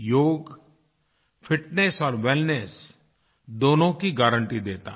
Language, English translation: Hindi, Yoga is a guarantee of both fitness and wellness